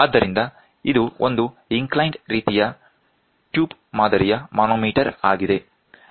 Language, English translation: Kannada, So, this is an inclined type tube type manometer